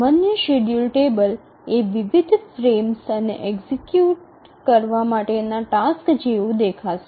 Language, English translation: Gujarati, So, typical schedule table would look like the different frames and the tasks that are to be executed